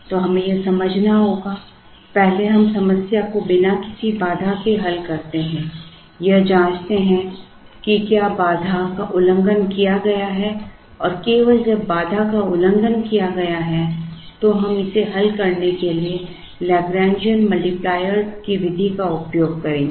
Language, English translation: Hindi, So, we have to understand this, first we solve the problem without a constraint, check whether the constraint is violated and only when the constraint is violated we will use the method of Lagrangian multipliers to solve this